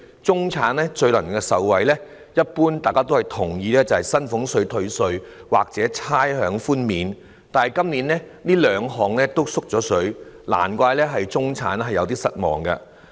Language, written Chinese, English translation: Cantonese, 大家一般都認同，最能讓中產受惠的措施是薪俸稅退稅或差餉寬免，但今年這兩項措施同樣"縮水"，難怪中產感到有點失望。, In fact there is shrinkage . We generally agree that the measure which can best benefit the middle class is reduction of salaries tax or waiver of rates but this year both measures have shrunk . No wonder the middle class feels a bit disappointed